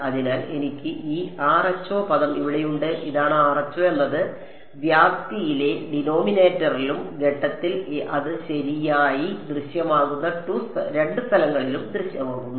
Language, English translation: Malayalam, So, I have this rho term over here this is rho is appearing in the denominator in the amplitude and in the phase the 2 places where it is appearing right